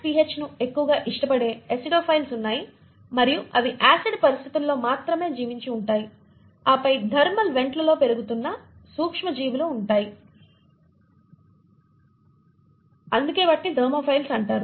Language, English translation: Telugu, There are acidophiles, which love more of an acidic pH and they survive only under acidic conditions and then you have those microbes which are growing in thermal vents and hence are called as Thermophiles